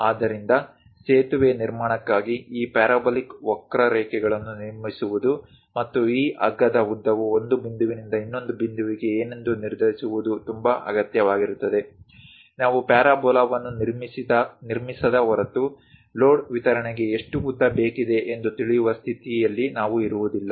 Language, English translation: Kannada, So, for bridge construction also constructing these parabolic curves and determining what should be this rope length from one point to other point is very much required; unless we construct the parabola, we will not be in a position to know how much length it is supposed to have for the load distribution